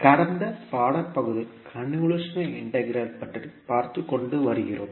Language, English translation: Tamil, So this is what we discussed about the convolution integral